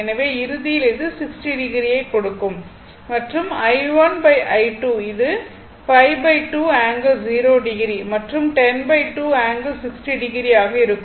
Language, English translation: Tamil, So, ultimately it will given 60 degree and if you divide I 1 by I 2, it will be 5 by 2 angle 0 degree and 10 by 2 angle 60 degree